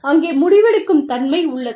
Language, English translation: Tamil, There is decision making